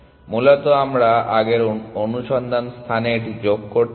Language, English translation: Bengali, Basically we want to add it to our search space